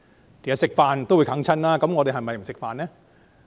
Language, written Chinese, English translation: Cantonese, 其實吃飯也會哽塞的，難道我們就不吃飯嗎？, In fact eating can lead to choking; does that mean we should not eat?